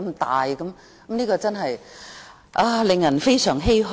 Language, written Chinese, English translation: Cantonese, 這件事真是令人非常欷歔。, This issue is indeed lamentable